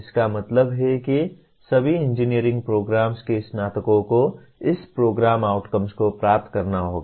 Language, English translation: Hindi, That means graduates of all engineering programs have to attain this program outcomes